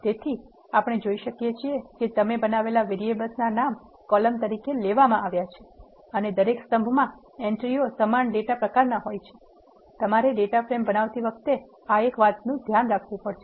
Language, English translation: Gujarati, So, we can see that the names of the variables you have created are taken as columns and the entries in the each column are of the same data type; this is the condition which you need to be satisfying while creating a data frame